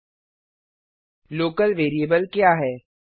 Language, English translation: Hindi, What is a Local variable